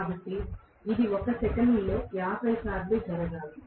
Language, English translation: Telugu, So, it should happen 50 times probably in 1 second, right